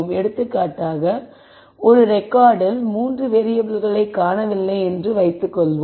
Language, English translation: Tamil, For example, if there is a record where there are let us say 3 variables that are missing